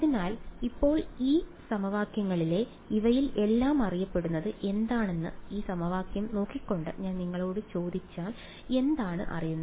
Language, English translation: Malayalam, So, now, in these in these equations what is known if I ask you looking at these equations what all is known